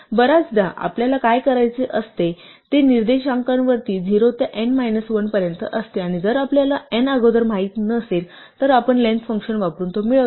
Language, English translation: Marathi, So, very often what we want to do is range over the indices from 0 to n minus 1 and if we do not know n in advance, we get it using the length function